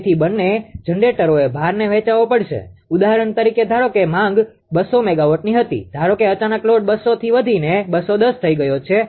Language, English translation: Gujarati, So, both the generators have to share the load for example, for example, ah suppose ah suppose demand was 200 megawatt ah right suppose suddenly load has increased from 200 to 210